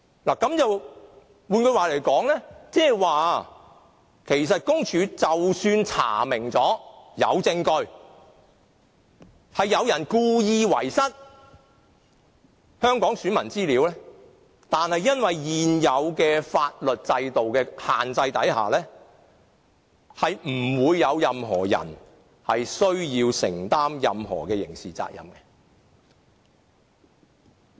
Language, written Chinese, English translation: Cantonese, 換言之，即使公署查明並有證據，有人故意遺失香港選民資料，但基於現行法律制度的規限下，不會有任何人需要承擔任何的刑事責任。, In other words even if PCPD finds that there is evidence to substantiate the complaint and that the loss of data of Hong Kong electors is deliberately caused by someone still no one will be held criminally liable for the offence under the existing legal system